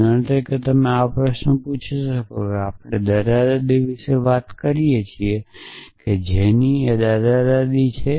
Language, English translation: Gujarati, For example, you could ask such questions essentially let say we in talking about grandparents whose grandparent